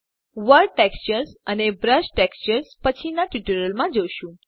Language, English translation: Gujarati, World textures and brush textures will be covered in later tutorials